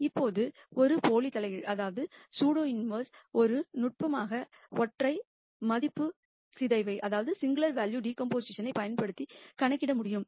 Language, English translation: Tamil, Now, the pseudo inverse a for a can be calculated using a singular value decomposition as one technique